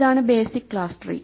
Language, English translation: Malayalam, Here is the basic class tree